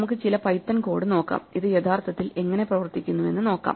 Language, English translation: Malayalam, Let us look at some python code and see how this actually works